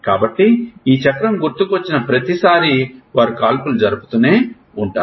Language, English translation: Telugu, So, every time this cycle comes in a recall they will keep firing